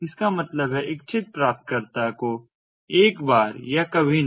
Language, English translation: Hindi, that means once or never, to the intended recipient